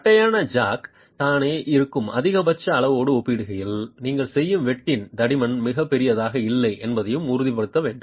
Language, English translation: Tamil, And then you also have to ensure that the thickness of the cut that you make is not too large in comparison to the maximum size that the flat jack itself is